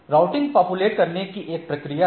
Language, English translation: Hindi, So, routing is a process of populating